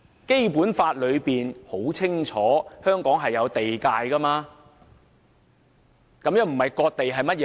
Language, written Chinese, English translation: Cantonese, 《基本法》清楚訂明香港的地界，這不是割地是甚麼？, Given that the Basic Law has clearly delineated the boundaries of Hong Kong so what is this if this is not cession of land?